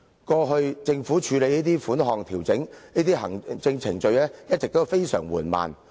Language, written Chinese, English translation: Cantonese, 過去政府處理調整這些款項等行政程序時，一直非常緩慢。, In the past the Government has been very slow in handling the administrative procedures of adjusting such amounts